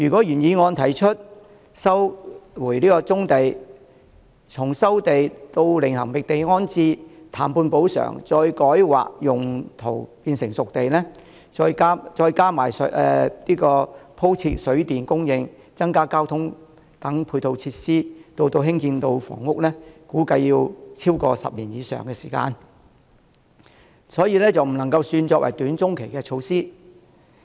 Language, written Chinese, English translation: Cantonese, 原議案提出的收回棕地措施，從收地、另覓地方安置、談判補償，改劃用途變成"熟地"，再加上鋪設水電供應、增加交通等配套設施至建成房屋，預計需時超過10年，不能說是短中期措施。, The original motion proposed the resumption of brownfield sites . The process of land resumption relocation compensation negotiations rezoning and disposing installation of water and electricity supplies increase of transport and other supporting facilities and housing construction are expected to take more than 10 years . So the option cannot be considered as a short - to - medium - term measure